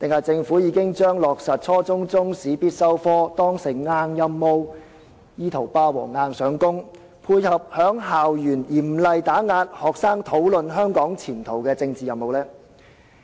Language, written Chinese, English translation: Cantonese, 政府是否把落實初中中史必修科當成硬任務，意圖霸王硬上弓，配合在校園嚴厲打壓學生討論香港前途的政治任務？, Does the Government consider stipulating Chinese History as a compulsory subject at junior secondary level an imperative task intending to force it through so as to tie in with the political task of seriously suppressing students discussions about the future of Hong Kong at school?